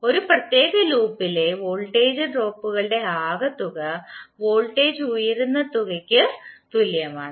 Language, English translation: Malayalam, That sum of the voltage drops in a particular loop is equal to sum of the voltage rises